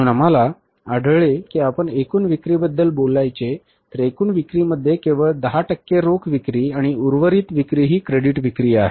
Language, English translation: Marathi, So, we found out that if you talk about the total sales, in the total sales only 10% of sales are the cash sales and the remaining sales are the credit sales